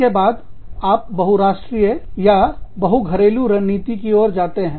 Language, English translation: Hindi, Then, you move in to, multi country or multi domestic strategy